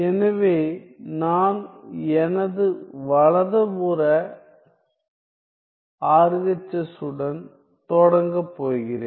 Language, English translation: Tamil, So, I am going to start with my right hand side RHS